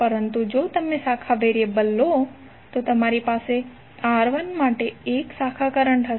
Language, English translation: Gujarati, But if you take the branch variable, you will have 1 for branch current for R1